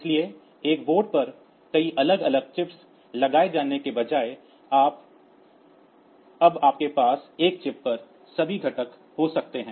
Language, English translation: Hindi, So, instead of having single a separate chips mounted on a board now in a single chip you have got all these components